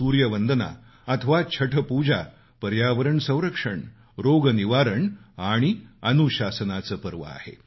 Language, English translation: Marathi, Sun worship or Chhath Pooja is a festival of protecting the environment, ushering in wellness and discipline